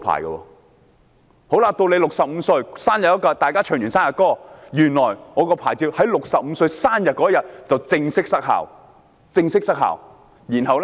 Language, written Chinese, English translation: Cantonese, 到了65歲生日，大家唱完生日歌後，原來我駕駛船隻的牌照在65歲生日當天正式失效，沒錯，是正式失效。, On my 65 birthday after the birthday song is sung my certificate for operating the vessel will be invalid . It is right the certificate will be formally invalid on my 65 birthday